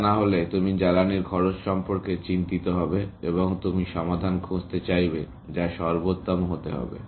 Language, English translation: Bengali, You would be worried about the cost of fuel, and you would want to find solutions, which are optimal, essentially